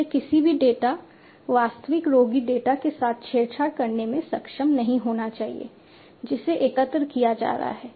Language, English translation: Hindi, So, nobody should be able to tamper with the data, actual patient data, that is being collected